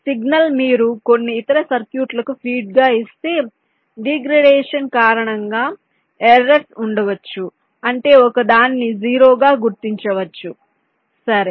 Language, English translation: Telugu, the signal if you just feeding to some other circuits, because of degradation there can be errors, means a one might be recognize as a zero, something like that